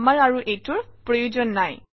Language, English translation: Assamese, We no longer need this